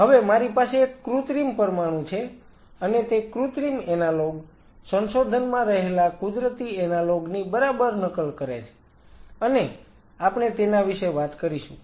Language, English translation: Gujarati, Now I have a synthetic molecule a synthetic analogue which exactly mimics a natural analogue with discovery